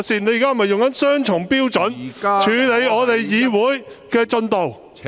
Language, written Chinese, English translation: Cantonese, 你現在是否用雙重標準，處理我們議會的進度？, Are you using a double standard to deal with the proceedings of the Council meetings?